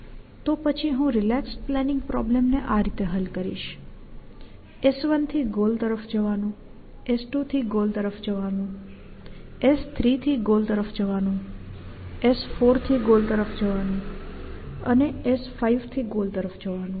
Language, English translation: Gujarati, Then I solve a relax planning problem going from this S 1 to goa1l and S 2 to goal and S 3 to goal and S 4 to goal and S 5 to goal